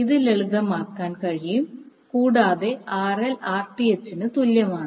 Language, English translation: Malayalam, You can simplify it and you get RL is equal to Rth